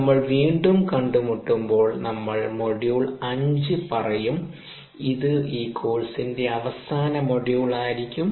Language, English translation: Malayalam, so when we meet again in a ah, when we meet next, we will take a module five, which will be the last module for this course